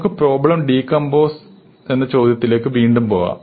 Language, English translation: Malayalam, So, again we can go to this question of decomposing the problem